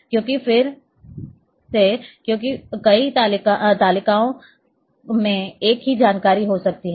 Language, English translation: Hindi, Why again because in several tables the same information might be there